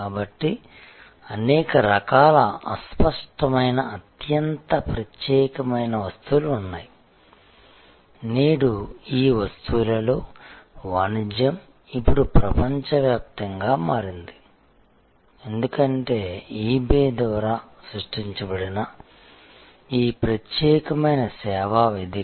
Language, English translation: Telugu, So, there are many types of obscure highly specialized items, today the commerce in those items have now become global, because of this unique service platform that has been created by eBay